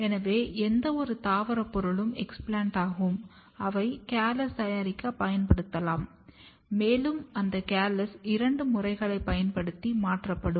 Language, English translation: Tamil, So, explant is any plant material which can be used to make or regenerate callus and those calluses are then transformed using two methods